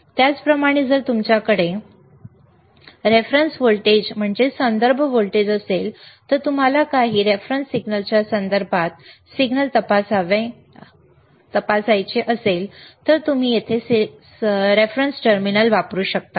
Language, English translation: Marathi, Similarly, if you have a reference voltage, and you want to check that is the signal with respect to some reference signal, then you can use a reference terminal here,